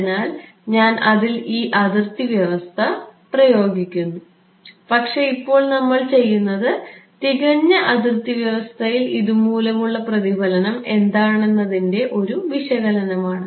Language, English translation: Malayalam, So, I am and I am going to impose this boundary condition on that but, what we are doing now is an analysis of what is the reflection due to this in perfect boundary condition